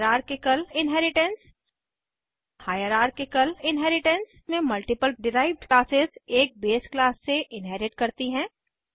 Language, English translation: Hindi, Hierarchical Inheritance In Hierarchical Inheritance multiple derived classes inherits from one base class